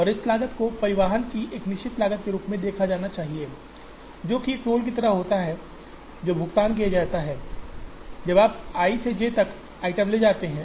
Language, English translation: Hindi, And this cost should be seen as a fixed cost of transporting, which is like a toll that is paid when you move items from i to j